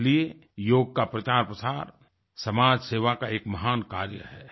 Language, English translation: Hindi, Therefore promotion of Yoga is a great example of social service